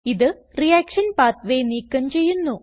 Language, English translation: Malayalam, This action will remove the reaction pathway